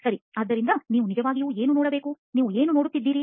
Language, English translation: Kannada, Right, so you really need to think about, what you are seeing